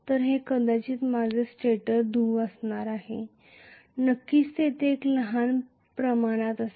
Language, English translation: Marathi, This is going to be probably my stator pole of course there will be a small proportion